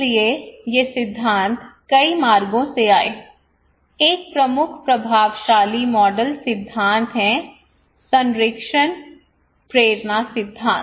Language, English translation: Hindi, So these theories came from many routes, one of the prominent influential model theory is the protection motivation theory